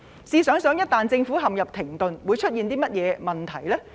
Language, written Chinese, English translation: Cantonese, 試想一旦政府陷入停頓，會出現甚麼問題？, Imagine what will happen if the Government is grinded to a halt